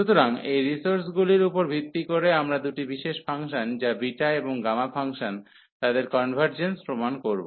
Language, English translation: Bengali, So, based on this these resources some on convergence we will prove the convergence of two special functions which are the beta and gamma functions